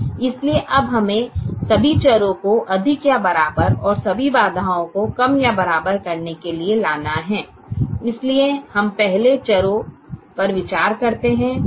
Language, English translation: Hindi, so we now have to bring all the variables to greater than or equal to, and all the constraints to less than or equal to